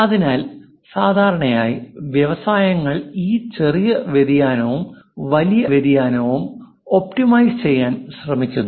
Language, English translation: Malayalam, So, usually industries try to optimize this small variation and large variation